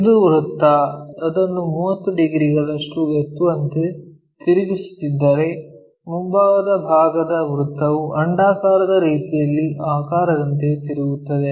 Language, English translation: Kannada, This circle, if I am rotating it lifting it by 30 degrees, this frontal portion circle turns out to be something like elliptical kind of shape